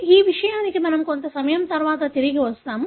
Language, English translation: Telugu, This is something that we will come back to little later